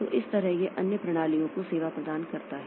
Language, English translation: Hindi, So, that way it provides service to other systems